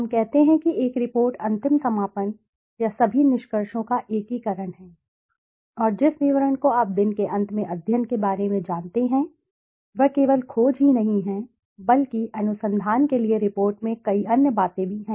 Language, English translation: Hindi, Let us say a report is the final summation or the integration of all the findings and the detail you know study at the end of the day, but it is not only the finding but the research the report has many other things to it